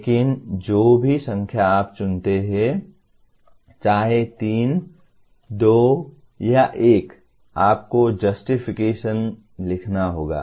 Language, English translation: Hindi, But whatever number that you choose, whether 3, 2, or 1 you have to write a justification